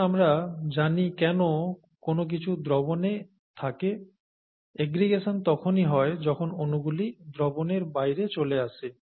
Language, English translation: Bengali, Now that, now that we understand why something is in solution, aggregation happens when molecules fall out of solution, okay